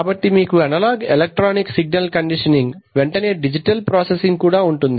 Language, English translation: Telugu, So you have analog electronic signal conditioning followed by digital processing